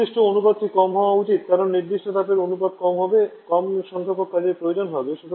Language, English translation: Bengali, Ratio of specific it should be low because the lower the ratio of the specific heat the less will be the compressor work requirement